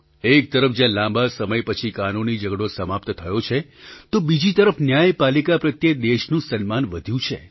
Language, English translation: Gujarati, On the one hand, a protracted legal battle has finally come to an end, on the other hand, the respect for the judiciary has grown in the country